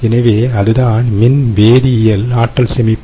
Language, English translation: Tamil, so thats the electrochemical energy storage